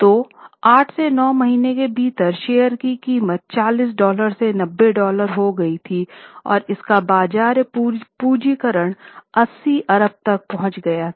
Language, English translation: Hindi, So, within 8 to 9 months time, stock price rose from $40 to $90 and the market capitalization was $80 billion